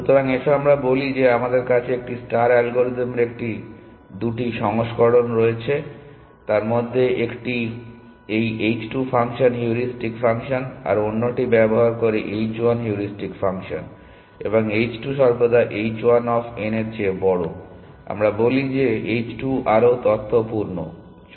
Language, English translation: Bengali, So, let us say we have this two versions of a star algorithm 1 uses this h 2 function heuristic function the other uses the h 1 heuristic function and h 2 is always greater than h 1 of n we say that the h 2 is more inform than